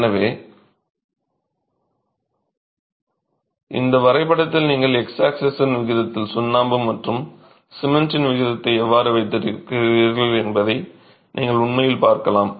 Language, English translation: Tamil, So in this graph you can actually see how as the proportion on the x axis you have the proportion of lime and the proportion of cement